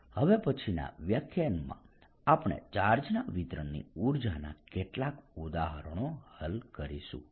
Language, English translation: Gujarati, in the next lecture we are going to solve some examples of energy, of some distribution of charge